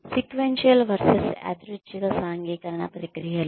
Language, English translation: Telugu, Sequential versus random socialization processes